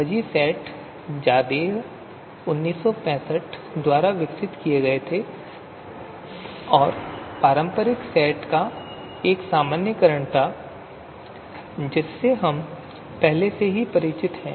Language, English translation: Hindi, So fuzzy sets you know, they were proposed by Zadeh and this was more of as a generalization to conventional set theory that we are already familiar with